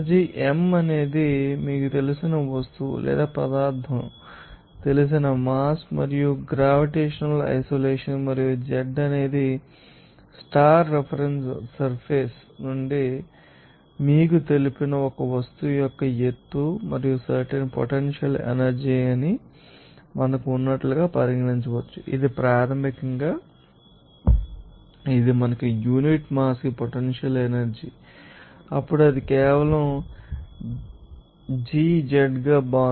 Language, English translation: Telugu, M is the mass of that you know object or material you can say and g the gravitational isolation and z is the height of that you know object from the star reference surface and the specific potential energy can be regarded as we had that is basically this us potential energy per unit mass, then it will becoming as simply gz